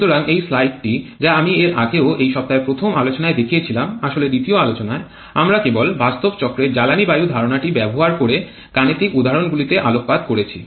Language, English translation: Bengali, So, this is one slide that I have shown earlier also in the very first lecture of this week actually in the second lecture we just focused on the numerical examples of using the fuel air concept in real cycles